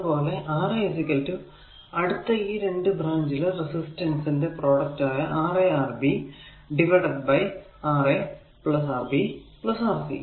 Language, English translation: Malayalam, Similarly, R 2 is equal to product of the 2 resistor adjacent branch that is Ra Rc divided by Rb Ra plus Rb plus Rc